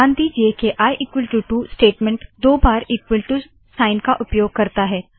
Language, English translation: Hindi, Note that i is equal to 2 statement uses the equal to sign twice